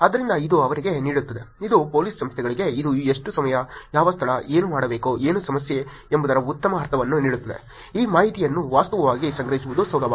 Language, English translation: Kannada, So, this gives them, this gives the police organizations a good sense of what time is it, what location is it, what should be done, what is the problem, it is easy to actually collect this information